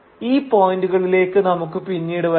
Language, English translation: Malayalam, And we will come to each of these points later